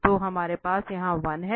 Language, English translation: Hindi, So, we have the 1 here